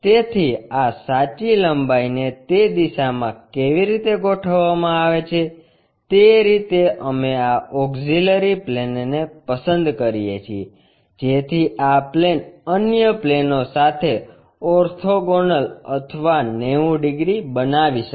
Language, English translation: Gujarati, So, the way how this true length is aligned in that direction we pick this auxiliary plane, so that this plane may make orthogonal or 90 degrees with the other planes